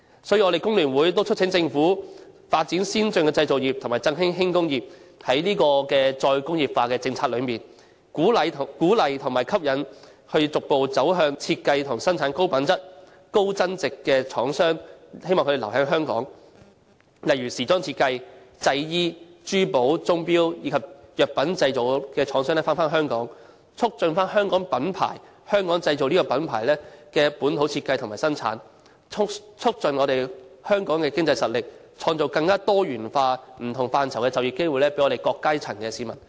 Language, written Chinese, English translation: Cantonese, 所以，工聯會促請政府發展先進的製造業及振興輕工業，在再工業化的政策中，鼓勵和吸引逐步走向設計和生產高品質、高增值貨品的廠商，希望他們留在香港發展。例如時裝設計、製衣、珠寶、鐘錶及藥品製造的廠商返回香港，促進香港品牌、"香港製造"這個品牌的本土設計和生產，促進香港的經濟實力，創造更多元化、不同範疇的就業機會，從而惠及我們各階層的市民。, For that reason FTU urges the Government to develop advanced manufacturing industries and re - vitalize light industries . In respect of the re - industrialization policy it should encourage and induce manufacturers to stay in Hong Kong and transform themselves step by step into manufacturers that design and make high - quality and high value - added goods such as designer fashion garment jewelleries timepieces and pharmaceutical products with a view to promoting Hong Kong brands ensuring the made in Hong Kong brand is designed and manufactured locally boosting the economic power of Hong Kong and creating a diversity of industries and jobs in various areas thereby benefiting people from all strata